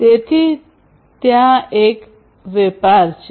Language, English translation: Gujarati, So, there is a tradeoff